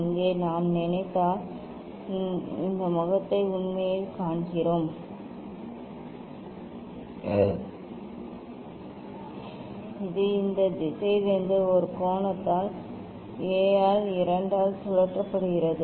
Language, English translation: Tamil, here we see this face actually if I think that, it is a from these direction its rotated by angle A by 2